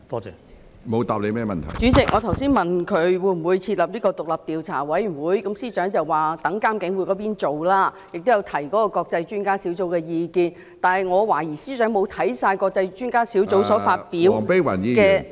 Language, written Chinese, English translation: Cantonese, 主席，我剛才問司長會否設立獨立調查委員會，他指有關工作會由監警會負責，並提及國際專家小組的意見，但我懷疑司長並未讀畢該小組發表的......, President just now I asked the Chief Secretary whether an independent commission of inquiry would be formed . He said the relevant work would be placed under the charge of IPCC and he mentioned the views of the International Expert Panel . But I suspect the Chief Secretary has not fully read what the Panel released